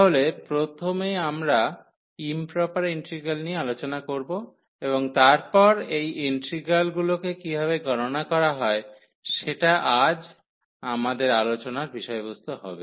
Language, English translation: Bengali, So, we will introduce first the improper integrals and then how to evaluate such integrals that will be the topic of today’s lecture